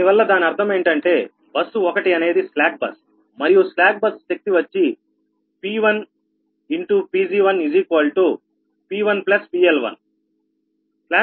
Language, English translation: Telugu, so that means so: bus one is a slack bus, right is a slack bus, and the slack bus power, p one, pg one is equal to p one plus pl one